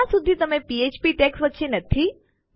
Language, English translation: Gujarati, So long as it is not between Php tags